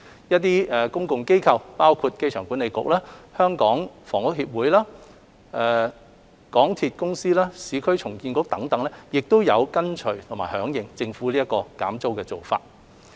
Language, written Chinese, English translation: Cantonese, 一些公共機構，包括香港機場管理局、香港房屋協會、香港鐵路有限公司、市區重建局等亦有跟隨和響應政府減租的做法。, Public bodies including the Airport Authority the Hong Kong Housing Society the Mass Transit Railway Corporation Limited the Urban Renewal Authority etc have also followed suit